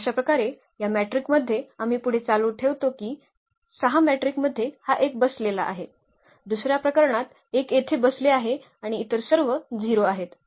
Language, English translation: Marathi, And so on we continue with this we get these 6 matrices where this 1 is sitting here at the first position only in this matrix, in the second case 1 is sitting here and all others are 0 and so on